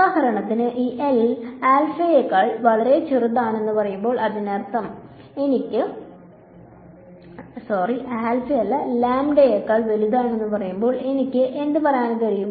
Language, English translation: Malayalam, So, for example, when let us say this L is much smaller than lambda so; that means, what can I say